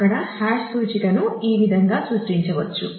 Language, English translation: Telugu, So, this is how a hash index can be created